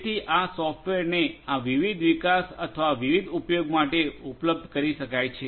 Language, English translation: Gujarati, So, these software will be made available for these different development and or different use